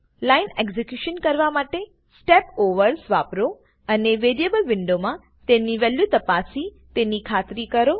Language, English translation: Gujarati, Use Step Overs to execute the lines and make sure to inspect the values of variables in the variable window